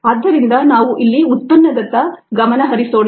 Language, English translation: Kannada, so let us concentrate on the product here